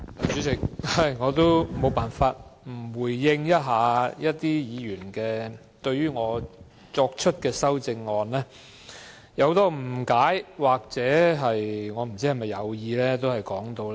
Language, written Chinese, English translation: Cantonese, 主席，我不得不回應某些議員對我提出的修正案的很多誤解或有意曲解。, Chairman I find it necessary to respond to certain Members misunderstanding or deliberate misinterpretations of my proposed amendments